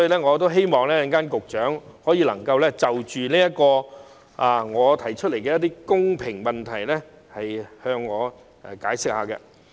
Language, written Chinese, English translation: Cantonese, 我希望局長稍後能就我提出的公平性問題作出解釋。, I hope that the Secretary can provide an explanation later about the issue of fairness raised by me